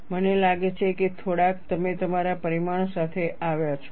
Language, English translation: Gujarati, I think quite a few, you, you have come with your result